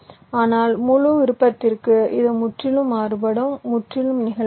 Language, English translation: Tamil, but for full custom it is entirely variable, entirely flexible cell type